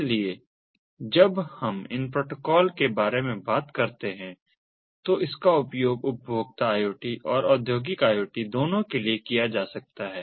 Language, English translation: Hindi, so when we talk about these protocols, this can be used for both consumer iots and industrial iot